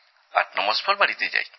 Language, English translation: Bengali, I go home after 89 months